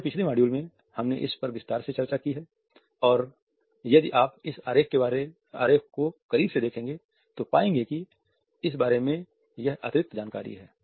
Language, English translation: Hindi, In our previous module we have discussed it in detail and if you look closely at this diagram you would find that this is further information about it